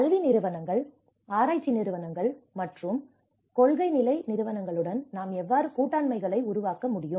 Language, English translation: Tamil, How we can build partnerships with an academic institutions, research institutions, and the practice and policy level institutions